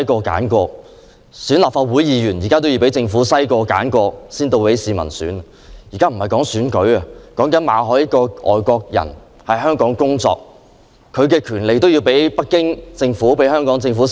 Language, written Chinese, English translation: Cantonese, 然而，我們現在不是在討論選舉問題，而是馬凱遇到的問題：一個外國人來港工作，他的權利也要被北京政府和特區政府篩選。, However the election issue is not the subject for discussion at the moment . We are speaking on the problem facing Victor MALLET which is a foreigner who came to Hong Kong for work had his rights being screened by the Beijing Government and the SAR Government